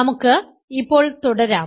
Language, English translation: Malayalam, Let us continue now